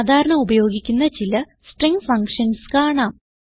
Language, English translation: Malayalam, I am going to show you some of the commonly used string functions